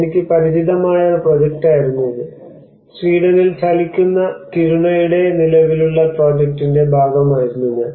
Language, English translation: Malayalam, It was one of the project where I was familiar with, and I was also partly part of the ongoing project of the moving Kiruna in Sweden